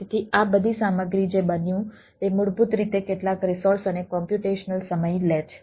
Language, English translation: Gujarati, all these stuff is basically takes some amount of the resources and computational time, right